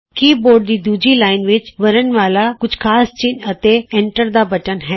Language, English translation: Punjabi, The second line of the keyboard comprises alphabets few special characters, and the Enter key